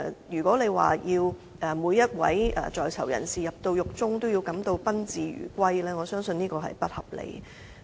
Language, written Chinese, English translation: Cantonese, 如果要每一位在囚人士在獄中，都感到賓至如歸，我相信這是不合理的。, I do not think it is reasonable to require them to make every PIC at home in prisons